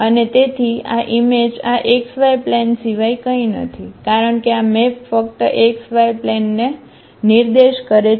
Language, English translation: Gujarati, And therefore, this image is nothing but this x y plane because this maps the point to the x y plane only